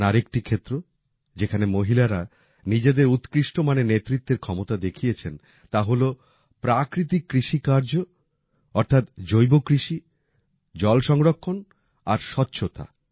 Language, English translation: Bengali, Another area where women have demonstrated their leadership abilities is natural farming, water conservation and sanitation